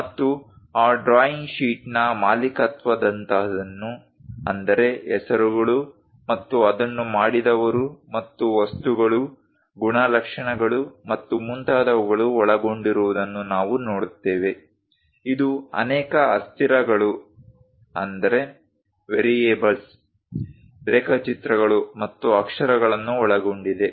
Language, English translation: Kannada, And we will see something like a ownership of that drawing sheet; contains names and whoever so made it and what are the objects, properties, and so on so things; it contains many variables, diagrams, and letters